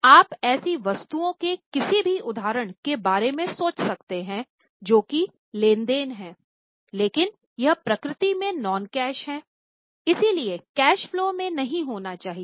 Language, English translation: Hindi, Can you think of any examples of such items that there is a transaction but it is non cash in nature so should not come in cash flow